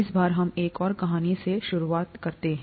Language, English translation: Hindi, This time, let us start with another story